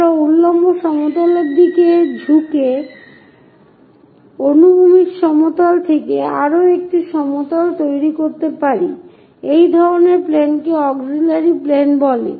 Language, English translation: Bengali, We can construct one more plane normal to horizontal plane inclined inclined with the vertical plane such kind of planes are called auxiliary planes